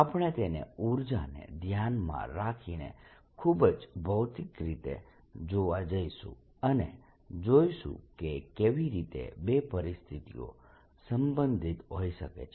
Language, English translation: Gujarati, we are going to look at it very physically through energy considerations and see how the two situations can be related